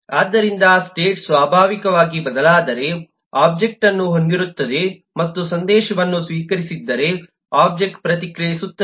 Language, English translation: Kannada, so if the state changes, naturally the object will have and if the message have received, the object will react